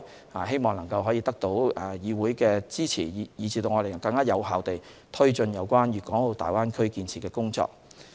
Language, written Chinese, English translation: Cantonese, 我們希望能獲得議會的支持，使我們能更有效地推進有關粵港澳大灣區建設的工作。, We hope to gain support from the Council so that we can take forward the development of the Greater Bay Area effectively